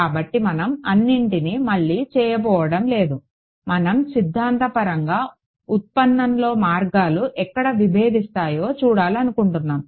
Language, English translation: Telugu, So, we are not going to a redo all of it; obviously, we just want to see conceptually where does the paths diverge in the derivation